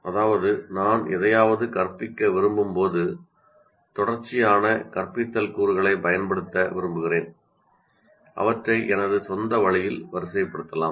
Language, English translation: Tamil, That means when I want to teach something, I may want to use a series of instructional components and sequence them in my own particular way